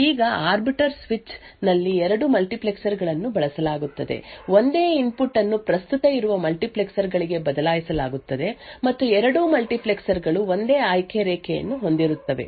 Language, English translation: Kannada, Now, in an arbiter switch two multiplexers are used, the same input is switched to both multiplexers present and both multiplexers have the same select line